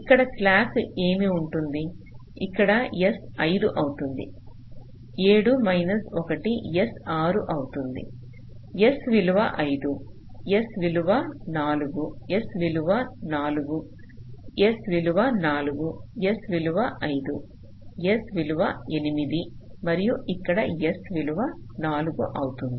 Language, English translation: Telugu, seven minus one s will be five, s will be four, s will be four, s will be four, s will be five, s will be eight and here s will be four